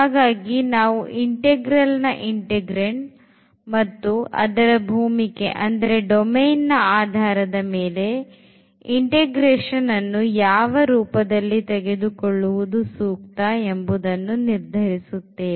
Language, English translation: Kannada, So, based on the integrand of the integral as well as the domain of integration we will decide whether it is better to go for the polar form